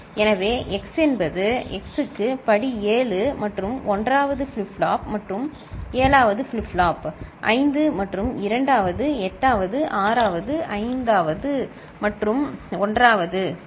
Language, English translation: Tamil, So, x that is x to the power 7 and the 1st flip flop and 7th flip flop; 5th and 2nd; 8th 6th 5th and 1st ok